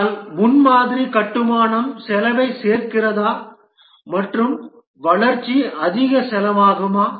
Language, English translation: Tamil, But does the prototype construction add to the cost and the development becomes more costly